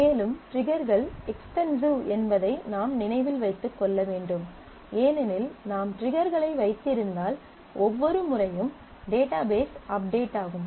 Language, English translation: Tamil, And because you have to keep in mind that triggers are expensive because once you have triggers and actually internally database for every update